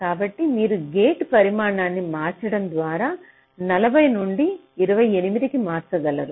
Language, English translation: Telugu, so you see, just by changing the size of the gate, i can change the delay from forty to twenty eight